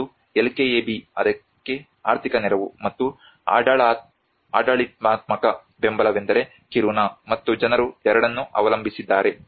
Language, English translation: Kannada, One is LKAB is the financial support for that, and the administrative support is the Kiruna, and the people relying on both